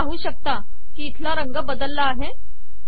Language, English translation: Marathi, You can see that there is a change of color here